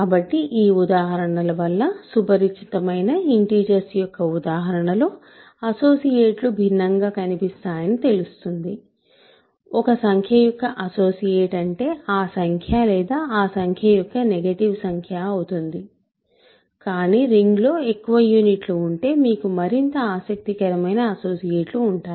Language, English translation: Telugu, So, this examples shows that associates may look different in the familiar example if integers of course, an associate of a number is either that number or the negative of a that of that number, but if a ring has more units you have more interesting associates